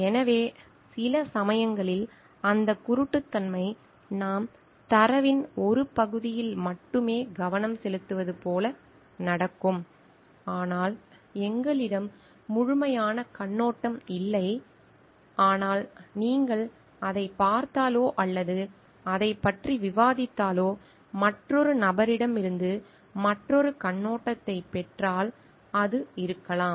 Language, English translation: Tamil, So, sometimes that blindedness happens like we are only focusing on one part of the data, but we are not having a holistic perspective, but if you look into it or maybe we discuss about it and we get another perspective from another person, it may take a different like all total different mode of doing things